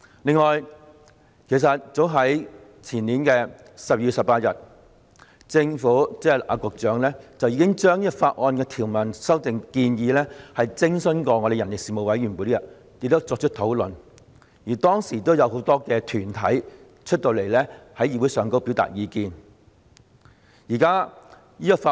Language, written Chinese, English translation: Cantonese, 另外，早在前年12月18日，政府，即局長，已就這項《條例草案》的條文修訂建議徵詢人力事務委員會，並在其會議內進行討論，而當時亦有很多團體在會議上表達意見。, That aside as early as 18 December of the year before last the Government I mean the Secretary already consulted the Panel on Manpower about the amendments to the provisions proposed in this Bill and had a discussion in the meeting with a number of organizations expressing their views back then